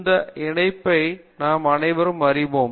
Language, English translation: Tamil, So, that link I think most of us understand